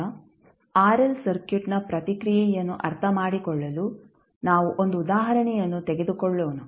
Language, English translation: Kannada, Now, let us take 1 example to understand the response of RL circuit